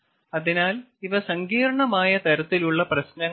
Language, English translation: Malayalam, so these are complex kind of problems